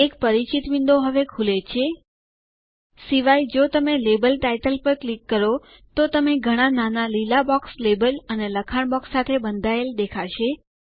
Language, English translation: Gujarati, A familiar window opens now, Except that if you click on the label title, you will see several small green boxes enclosing the label and the text box